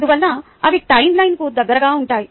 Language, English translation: Telugu, therefore they are located close to the time line